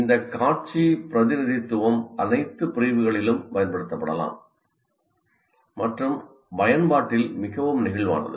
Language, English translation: Tamil, And these visual representations can be used in all disciplines and are quite flexible in their application